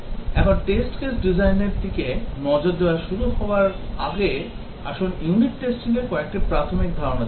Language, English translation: Bengali, Now, let us look at some basic concepts in unit testing before we start looking at the test case designing